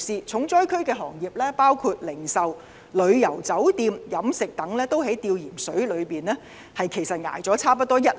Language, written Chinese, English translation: Cantonese, 重災區行業包括零售、旅遊、酒店、飲食等，均已在"吊鹽水"的情況下，支撐了差不多一年。, The sectors suffering the hardest hit include retailing tourism hotel food and beverages and so on they have been barely able to survive for almost one year